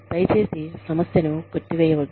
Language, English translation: Telugu, Please, do not dismiss the problem